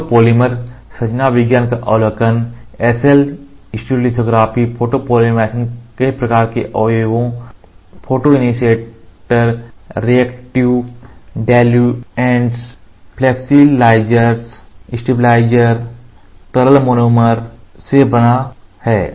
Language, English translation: Hindi, The overview of photo polymer chemistry the SL stereolithography photopolymer are composed of several types of ingredients, photo initiator, reactive diluents, flexibilizer, stabilizer, liquid monomer